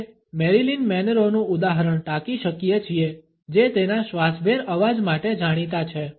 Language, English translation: Gujarati, We can quote the example of Marilyn Monroe who is known for her breathy voice